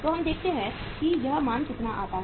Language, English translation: Hindi, So let us see how much it works out